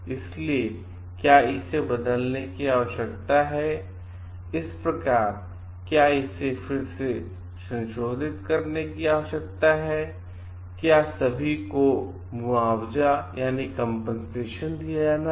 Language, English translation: Hindi, So, does it require to be changed, thus it require to be like revisited again what are the compensation to be paid and all